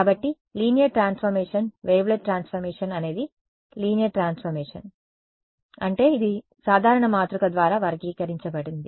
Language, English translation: Telugu, So, linear transformation, a wavelet transformation is a linear transformation; means it can be characterized by a matrix simple